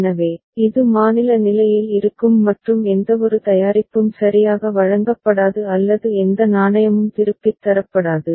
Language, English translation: Tamil, So, it will remain at state b and no product will be delivered right or no coin will be returned